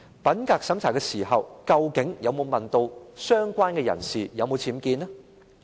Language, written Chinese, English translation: Cantonese, 品格審查時，究竟有否問相關人士有否僭建？, When integrity check was conducted was a question put to the person concerned on the existence of UBWs?